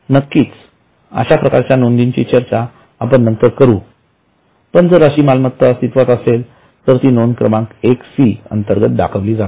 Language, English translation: Marathi, Exactly what we will discuss later on but if there is any such asset in existence it will be shown under 1C